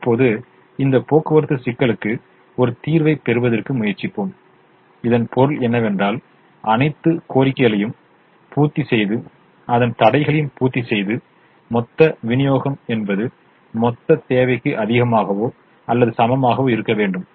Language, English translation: Tamil, for this transportation problem to have a solution, which means for us to meet all the demands and satisfy all the demand constraints, the total supply should be greater than or equal to the total demand